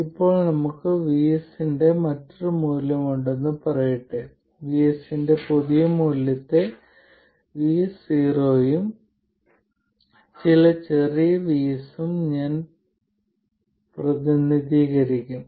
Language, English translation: Malayalam, Now let's say that we have a different value of VS and I will represent the new value of VS as VS 0 plus some lowercase VS